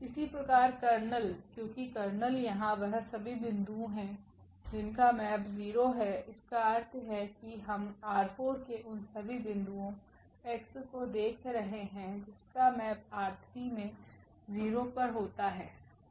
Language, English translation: Hindi, Similarly, the kernel because the kernel will be all the points here whose who map is to 0s; that means, we are looking for all the points x here in R 4 and whose map to the 0 in R 3